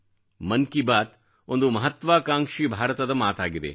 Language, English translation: Kannada, Mann Ki Baat addresses an aspirational India, an ambitious India